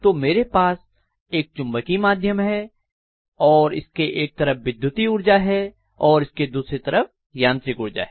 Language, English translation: Hindi, So I am going to have a magnetic via media and I am going to have on one side let us say electrical energy and I am going to have on the other side mechanical energy